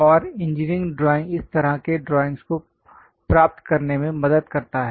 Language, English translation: Hindi, And engineering drawing helps in achieving such kind of drawings